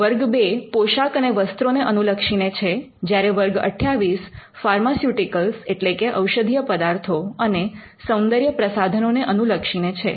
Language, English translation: Gujarati, For example, class 2 deals with articles of clothing, and class 28 deals with pharmaceuticals and cosmetics